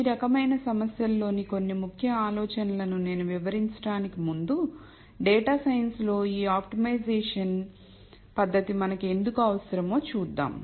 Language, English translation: Telugu, Before I start explaining some of the key ideas in these types of problems, let us look at why we might need this optimization technique in data science